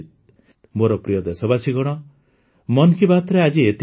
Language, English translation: Odia, My dear countrymen, that's all for today in 'Mann Ki Baat'